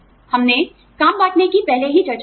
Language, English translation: Hindi, We have discussed, job sharing, earlier